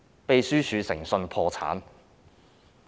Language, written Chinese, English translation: Cantonese, 秘書處已經誠信破產。, The Secretariat has its credibility sullied